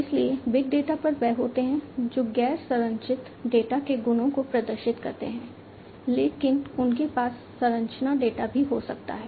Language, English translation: Hindi, So, big data are typically the ones which exhibit the properties of non structured data, but they could also have structure data